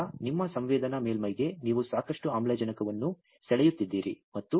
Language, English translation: Kannada, So, you are drawing lot of oxygen on to your sensing surface